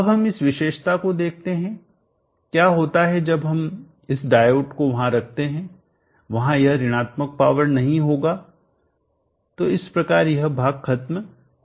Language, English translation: Hindi, Now let us look at this characteristic what happens when we put this diode there will not be this negative power so that portion will wash